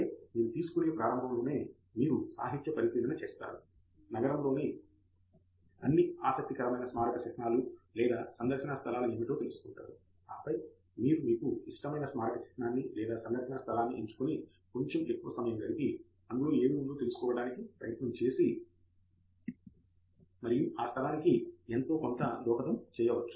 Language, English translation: Telugu, And then in the beginning you take, that is where you do a literature survey, find out what are all interesting monuments or sightseeing places in the city; and then you pick your favorite monument and or your sightseeing place and spend more time trying to know what is there and may be contribute to that place and so on